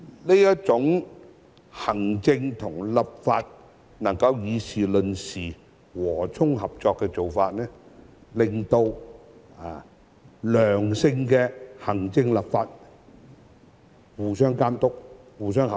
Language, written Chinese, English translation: Cantonese, 這種行政與立法能夠議事論事、和衷合作的做法，令到行政立法互相監督、合作。, This kind of harmonious cooperation between the executive and the legislature in the discussion of matters will enable mutual monitoring and cooperation between the two